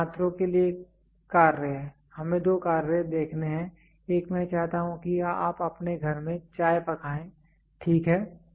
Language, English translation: Hindi, So the task to students; let us see two tasks; one is I want you to cook tea in your house, ok